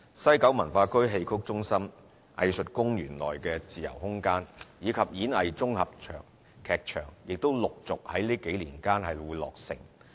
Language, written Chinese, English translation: Cantonese, 西九文化區戲曲中心、藝術公園內的自由空間，以及演藝綜合劇場亦陸續於這幾年間落成。, The Xiqu Centre in WKCD the freespace at the Art Park and the Lyric Theatre Complex will be completed one after the other in the next few years